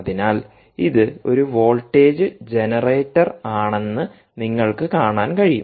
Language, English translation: Malayalam, generate a voltage so you can see its a voltage generator